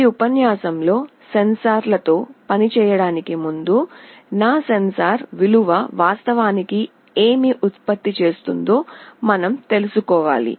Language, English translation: Telugu, In this lecture prior going towards working with sensors, we must know that what my sensor value is actually generating